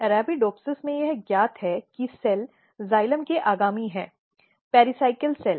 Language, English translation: Hindi, In Arabidopsis it is known that the cell which is next to the xylem the pericycle cell